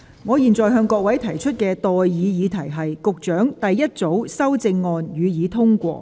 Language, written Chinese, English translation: Cantonese, 我現在向各位提出的待議議題是：保安局局長動議的第一組修正案，予以通過。, I now propose the question to you and that is That the first group of amendments moved by the Secretary for Security be passed